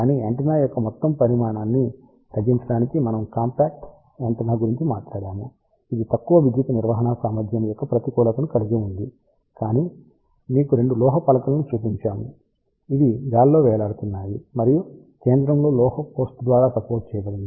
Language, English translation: Telugu, But, we talked about compact antenna to reduce the overall size of the antenna, it has the disadvantage of low power handling capacity, but we showed you 2 metallic plates which was suspended in the air and supported by metallic post at the centre that can handle kilowatts of power